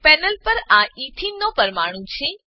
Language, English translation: Gujarati, This is a molecule of ethene on the panel